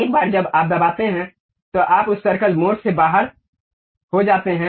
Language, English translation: Hindi, Once you press, you are out of that circle mode